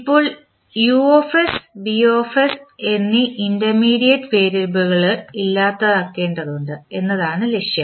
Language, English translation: Malayalam, Now, the objective is that we need to eliminate the intermediate variables that is U and B